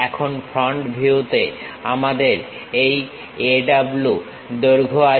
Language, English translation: Bengali, Now in the front view we have this length A W